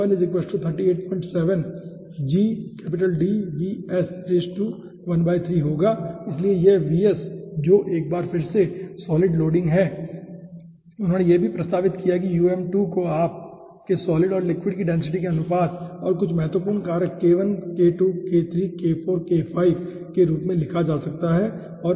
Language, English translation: Hindi, and he has also proposed that um2 can be written in terms of your, you know, density of the ratio of solid and liquid and some important factors: k1, k2, k3, k4, k5